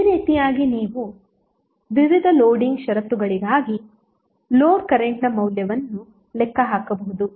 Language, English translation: Kannada, So in this way you can calculate the value of the load current for various Loading conditions